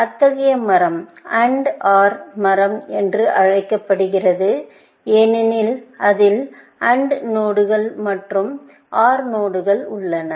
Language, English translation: Tamil, So, such a tree is called an AND OR tree, because it has AND nodes as well as OR nodes in that